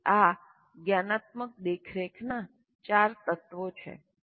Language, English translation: Gujarati, So these are the four elements of metacognitive monitoring